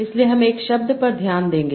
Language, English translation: Hindi, So I will focus on a word